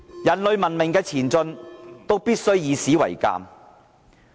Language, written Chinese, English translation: Cantonese, 人類文明的前進，必須以史為鑒。, Men must learn from history to progress forward